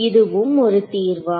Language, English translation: Tamil, Is this also a solution